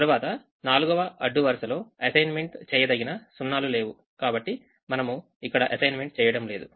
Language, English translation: Telugu, the fourth row does not have an assignable zero, so we went to the first column and then we made an assignment there